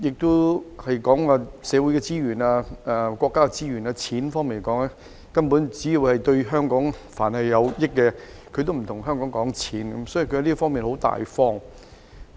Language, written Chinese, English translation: Cantonese, 在社會資源、國家資源及金錢方面，但凡是對香港有益，內地都不會跟香港計較，是相當大方的。, In terms of social resources national resources and finances the Mainland is very generous to Hong Kong and will not watch the pennies when it comes to anything that is beneficial to Hong Kong